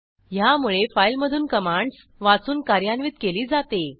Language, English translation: Marathi, It reads and execute commands from that file